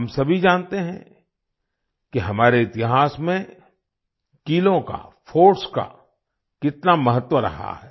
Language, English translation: Hindi, We all know the importance of forts in our history